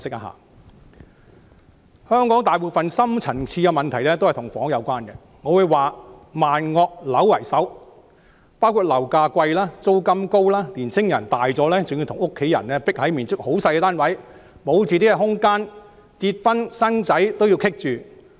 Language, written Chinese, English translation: Cantonese, 香港大部分深層次問題跟房屋有關，我會說"萬惡樓為首"，包括樓價貴、租金高、青年人長大後還要與家人擠迫地住在面積很細小的單位，沒有自己的空間，連結婚生子也受到阻礙。, Most of the deep - rooted problems in Hong Kong are related to housing . I would say that housing tops all evils . The problems include costly property prices high rentals young people having to live in a tiny flat together with their family without their own space are discouraged to get marry and have children